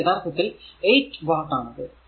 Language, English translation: Malayalam, So, it is 8 watt so, it is understandable